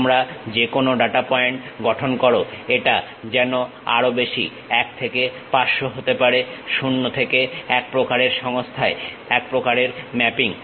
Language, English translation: Bengali, You construct any data point it is more like a mapping from 1 to 500 to 0 to 1 kind of system